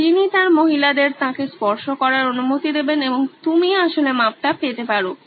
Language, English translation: Bengali, So he would allow his women to touch him and you could actually get the measurements done